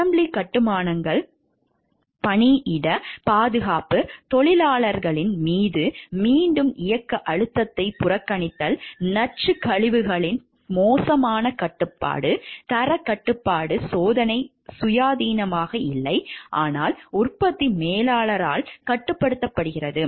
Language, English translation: Tamil, Assembly constructions, workplace safety, disregard of repetitive motion stress on workers, poor control of toxic wastes, quality control testing not independent, but controlled by productions manager